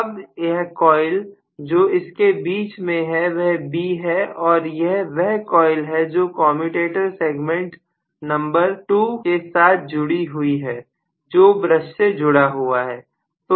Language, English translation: Hindi, Now this coil what is in the middle is B and that coil is the one which is connected to the commutator segment number 2 which is eventually connected to the brush